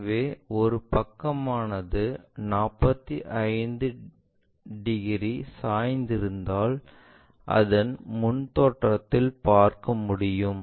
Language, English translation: Tamil, So, one of the sides if it is making 45 degrees in the front view we will see that 45 degrees